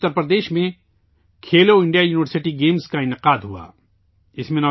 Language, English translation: Urdu, For example, Khelo India University Games were organized in Uttar Pradesh recently